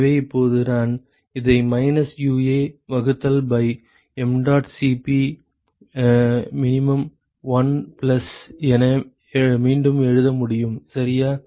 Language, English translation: Tamil, So, now, I can rewrite this as minus UA divided by mdot Cp min 1 plus ok